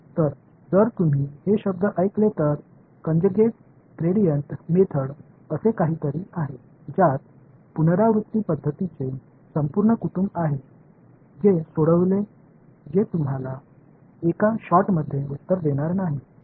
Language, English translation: Marathi, So, something called conjugate gradient method if you heard these words there are there is a whole family of iterative methods which will solve which will not give you the answer in one shot